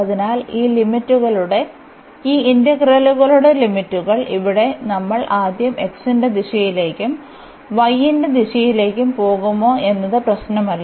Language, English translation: Malayalam, So, the limits of this integral; here we have the possibility whether we take first in the direction of x and then in the direction of y it does not matter